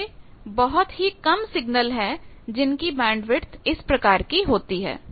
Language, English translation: Hindi, There are very few signals who have this type of bandwidth